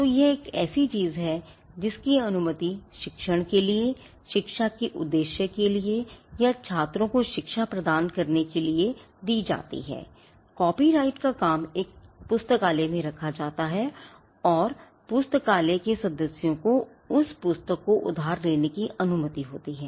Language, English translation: Hindi, So, that is something which is allowed for or it is for the purpose of education for teaching or imparting education to students again that is allowed for, the copyrighted work is kept in a library and it is the copyrighted work is kept in a lending library and the members of the library borrow the book that is again something that is permissible